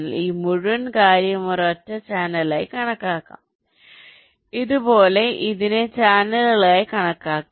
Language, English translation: Malayalam, in fact, this whole thing can be considered as single channel, this whole can be considered as single channel, and so on